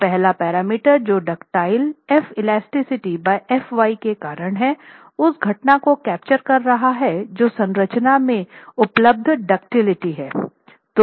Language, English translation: Hindi, So, the first parameter which is due to ductility, F elastic by FY, is capturing that phenomenon of the ductility available in the structure